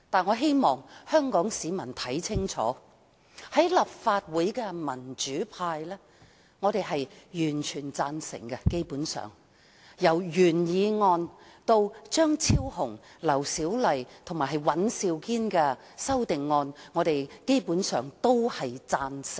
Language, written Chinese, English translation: Cantonese, 我希望香港市民看清楚，立法會民主派議員基本上全部贊成議案，包括原議案及張超雄議員、劉小麗議員及尹兆堅議員提出的修正案。, I hope the people of Hong Kong can see clearly that all Members of the democratic camp in the Legislative Council basically support the motion including the original motion as well as the amendments proposed by Dr Fernando CHEUNG Dr LAU Siu - lai and Mr Andrew WAN